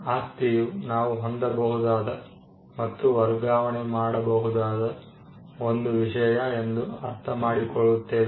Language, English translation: Kannada, By property we understand as something that can be possessed, and something that can be transferred